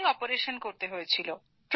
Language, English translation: Bengali, Have you had any operation